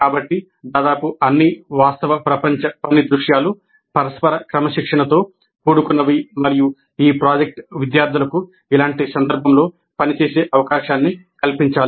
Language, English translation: Telugu, So almost all real world work scenarios are interdisciplinary in nature and the project must provide the opportunity for students to work in a similar context